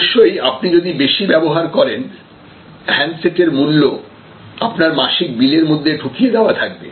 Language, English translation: Bengali, And then therefore, if you are a heavy user of course, the price of the handset is build into the monthly bill that you are getting